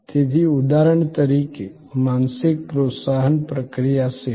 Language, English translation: Gujarati, So, for example, this is an example of mental stimulus processing service